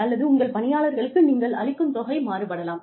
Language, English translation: Tamil, Or, what you give to your employees, can vary